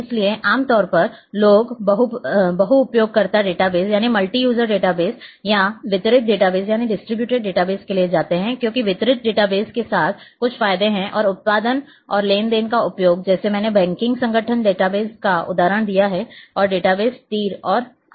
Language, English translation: Hindi, So, generally people are going for multiuser database and distributed database because there are certain advantages with distributed database, and production and or transactional use like transactional I have given the example of banking organisation database and also database arrows and other things are there